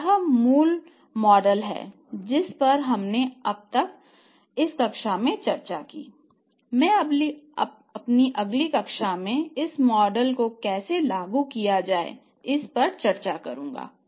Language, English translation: Hindi, So, this is the basic model we discussed now but how to apply this model I will discuss with you in the next class